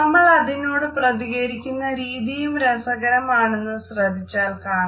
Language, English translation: Malayalam, The ways in which we respond to it are also very interesting to note